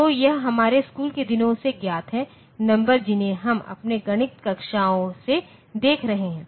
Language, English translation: Hindi, So, this is known from our school days, from our numbers that we are handling within our mathematics classes